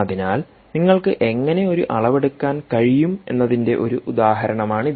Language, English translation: Malayalam, so this is one example of how you can make a measurement